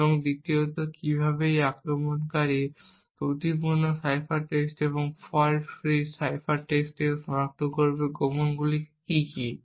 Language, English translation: Bengali, And secondly how would the attacker identify from the faulty cipher text and the fault free cipher text what the secret key is